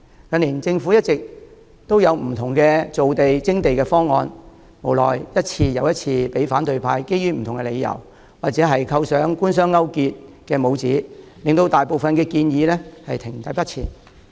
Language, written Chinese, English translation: Cantonese, 近年政府一直提出各項造地、徵地方案，無奈一次又一次被反對派基於不同的理由阻撓，或者扣上官商勾結的帽子，令大部分建議停滯不前。, In recent years the Government has put forth proposals on land formation and land resumption . Regretfully as these proposals have been obstructed time and again by the opposition camp for various reasons or have been labelled as collusion between the Government and business most of the initiatives have come to a standstill